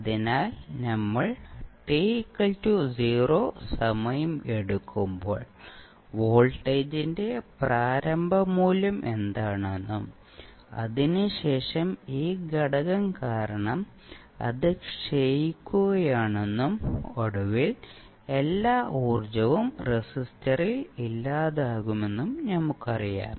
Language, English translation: Malayalam, So, when you it is decaying, when we take the time t is equal to 0, we know that the initial value of voltage was V Naught and then after that, because of this factor it is decaying, and eventually all energy would be dissipated in the resistor